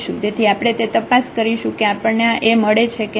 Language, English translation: Gujarati, So, we will check whether we can find such a A